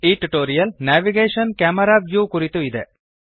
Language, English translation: Kannada, This tutorial is about Navigation – Camera view